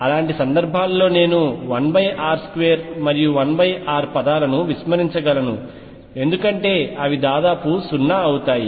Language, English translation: Telugu, In such cases I can ignore 1 over r square and 1 over r terms because they will become nearly 0